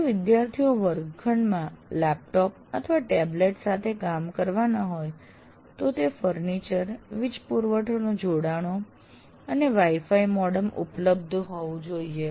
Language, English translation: Gujarati, If the students are expected to work with the laptops or tablets, in the classroom, the furniture, power supply connections and Wi Fi modems should be made available